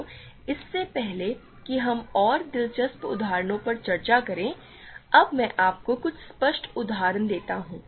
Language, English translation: Hindi, So, now let me quickly give you some obvious examples before we discuss more interesting examples